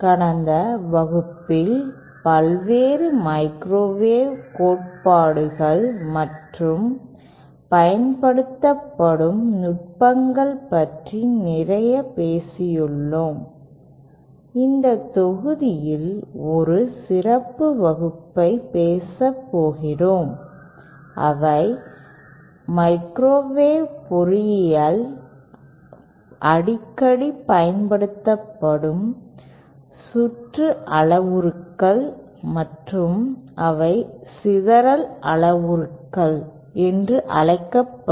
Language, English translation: Tamil, In the last class we have talked a lot about the various microwave theories, the techniques used in this module we are going to talk about a special class of parameters, circuit parameters that are frequently used in microwave engineering and they are called scattering parameters